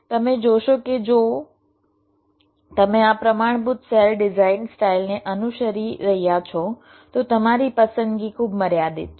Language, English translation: Gujarati, you see, if you are following this standard cell design style, then your choice is very limited